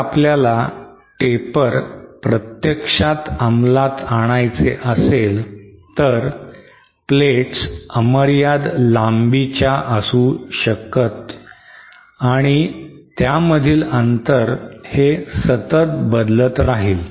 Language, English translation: Marathi, If you want to implement taper then the plates will not be infinite anymore and the distance between them will keep vary